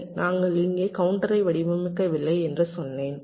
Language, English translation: Tamil, well, i have said we have not yet designed the counter